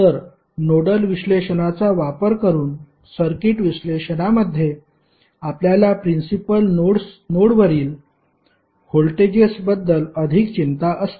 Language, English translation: Marathi, So, in circuit analysis using nodal analysis we are more concerned about the voltages at principal node